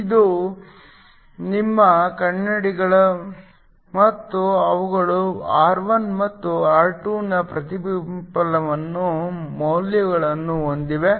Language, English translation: Kannada, These are your mirrors and they have reflectivity values of R1 and R2